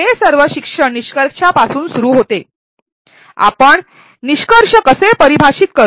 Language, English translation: Marathi, It all starts with the learning outcomes the how do we define the outcomes